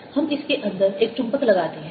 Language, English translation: Hindi, and we'll show you that by putting a magnet inside